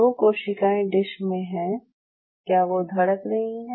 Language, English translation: Hindi, Are those cells in the dish beating